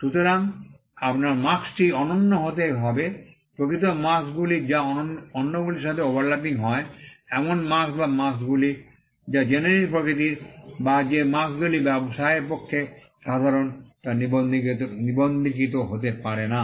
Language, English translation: Bengali, So, your mark had to be unique, in fact marks which are overlapping with other, marks or marks which are generic in nature, or marks which are common to trade cannot be registered